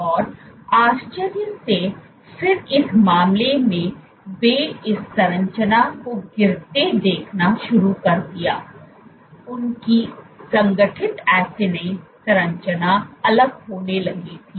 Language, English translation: Hindi, And low and behold again in this case they began to see this structure fall apart; their organized acini structure was started to fall apart